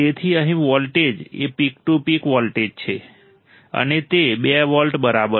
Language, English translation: Gujarati, So, here the voltage is the peak to peak voltage and is equal to 2 volts right